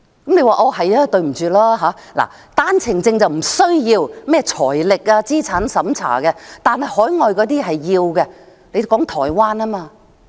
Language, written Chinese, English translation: Cantonese, 但是，對不起，單程證申請人不需要財力和資產審查，海外人士的才需要。, However regrettably applicants holding OWPs are not required to undergo means and assets tests . Only overseas people are required to do so